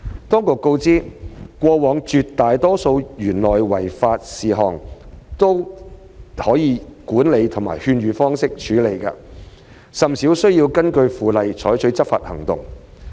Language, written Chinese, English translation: Cantonese, 當局告知，過往絕大多數的園內違法事項都能以管理或勸諭方式處理，甚少需要根據《附例》採取執法行動。, The authorities have advised that OPC has rarely resorted to enforcement actions under the Bylaw since the vast majority of contraventions in OP were dealt with by management means or persuasion in the past